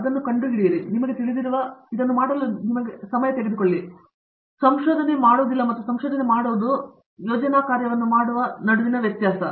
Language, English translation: Kannada, And, it takes a while you know to figure out it, so otherwise it would not be research that is the difference between a researcher doing research and doing project work